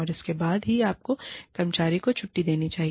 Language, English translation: Hindi, And, only then, should you discharge the employee